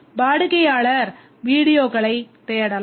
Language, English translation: Tamil, The customer can search for videos